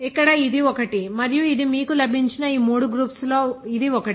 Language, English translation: Telugu, Here this one and this one of these three groups you got